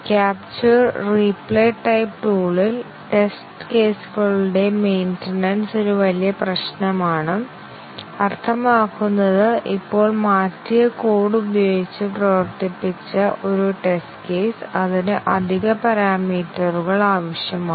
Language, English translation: Malayalam, One of the catch is that, in the capture and replay type of tool, maintenance of test cases is a big problem in the sense that let us say, a test case which was run now with the changed code, it needs additional parameters to be given